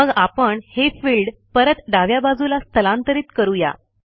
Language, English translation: Marathi, Notice that, we have moved all the fields from the left to the right